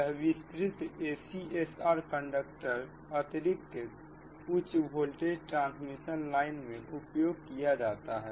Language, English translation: Hindi, expanded acsr conductors are used in extra high voltage transmission line, right